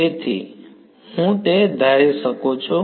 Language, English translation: Gujarati, So, I can assume that